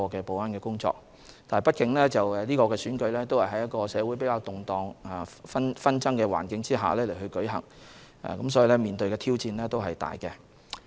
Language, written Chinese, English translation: Cantonese, 畢竟是次選舉是在社會較動盪和紛爭的環境下進行，面對的挑戰是巨大的。, After all the DC Election held in the midst of considerable upheavals and strife in society had faced enormous challenges